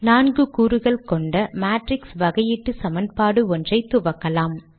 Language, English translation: Tamil, Let us begin with a matrix differential equation consisting of four components